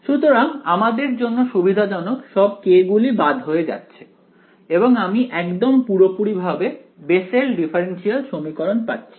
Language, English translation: Bengali, So, conveniently for us all the all the ks cancel off and I get exactly, the Bessel’s differential equation which is as follows